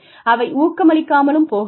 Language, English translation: Tamil, They may not motivate